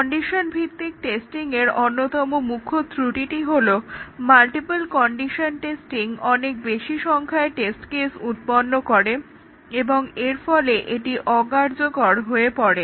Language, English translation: Bengali, One of the main short coming of the condition based testing is that the multiple condition testing generates too many test cases, and therefore becomes impractical